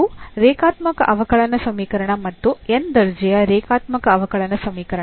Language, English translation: Kannada, So, it is a linear differential equation and nth order linear differential equation